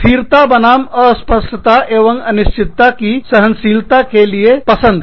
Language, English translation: Hindi, Preference for stability versus tolerance of ambiguity and unpredictability